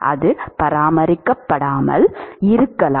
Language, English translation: Tamil, It is possible it is not maintained